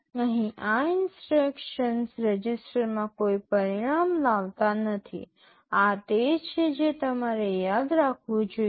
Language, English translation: Gujarati, Here these instructions do not produce any result in a register; this is what you should remember